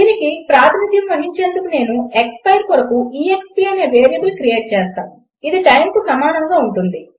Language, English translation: Telugu, And to represent this I am going to create a variable called exp for expire and this will be equal to the time